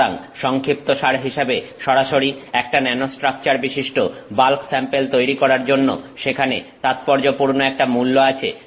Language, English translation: Bengali, So, in summary, there is significant value to directly making a bulk sample that has a nanostructure